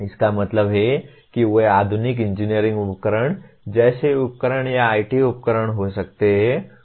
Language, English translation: Hindi, That means they can be modern engineering tools like equipment or IT tools